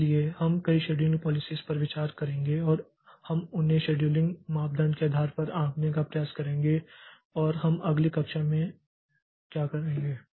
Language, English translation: Hindi, So, we'll be looking into many scheduling policies and we will try to judge them based on the scheduling criteria and that we'll do in the next class